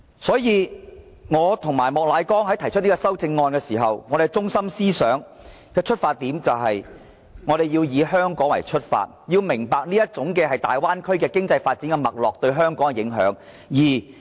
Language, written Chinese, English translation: Cantonese, 所以，我和莫乃光議員提出修正案時，我們的中心思想和出發點是，我們要以香港出發，要明白這種大灣區經濟發展的脈絡對香港的影響。, For that reason the central idea of the amendments moved respectively by Mr Charles Peter MOK and me are based on the standpoint of Hong Kong with the aim of making clear the impact which Hong Kong will sustain as a result of such bay area economic development